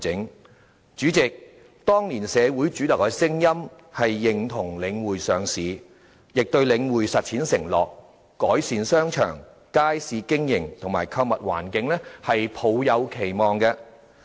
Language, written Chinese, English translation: Cantonese, 代理主席，當年社會主流的聲音是認同領匯上市，亦對領匯實踐其就改善商場、街市經營和購物環境所作出的承諾抱有期望。, Deputy President at the time mainstream public opinion was in favour of The Link REITs listing and the public also had expectations of it keeping its promises of improving shopping arcades operation of markets and shopping environment